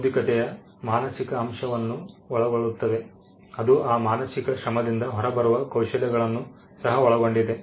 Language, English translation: Kannada, Intellectual covers that mental element, it would also cover skills that come out of that mental labor